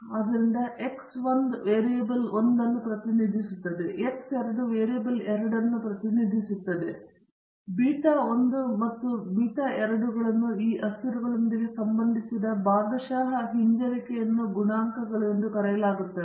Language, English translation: Kannada, So, X 1 represents variable 1, and X 2 represents variable 2 and beta 1 and beta 2 are called as the partial regression coefficients associated with these variables 1 and 2